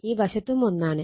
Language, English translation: Malayalam, 5 and this side also 1